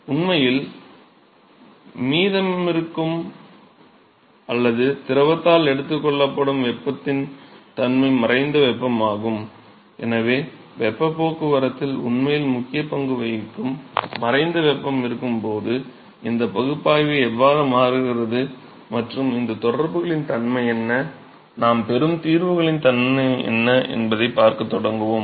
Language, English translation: Tamil, So, it; so, that the nature of the heat that is actually left or taken up by the fluid is the latent heat; so, we are going to start looking at when there is latent heat which is actually playing an important role in the transport proceeds how do these analysis change and what is the nature of these correlations we going to get and what the nature of solutions that we going to get